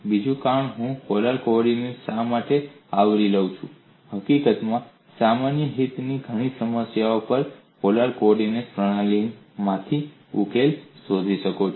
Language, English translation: Gujarati, Another reason, why I cover these polar coordinates, is in fact, many problems of common interest you find solution from polar coordinate system